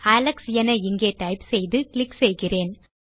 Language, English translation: Tamil, There is no question mark Let me type alex and click here